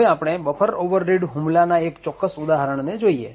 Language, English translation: Gujarati, Now let us take one particular example of buffer overread attack